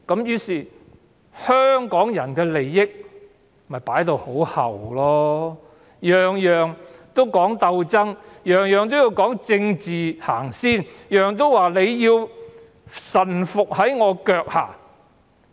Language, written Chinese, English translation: Cantonese, 於是，香港人的利益被置於後末，事事要鬥爭，事事要政治先行，事事須臣服於其腳下。, Accordingly the interests of Hong Kong people have been accorded the lowest priority . We have to fight for everything we want; politics always comes first before anything else; and we have to pledge allegiance to CPC on all matters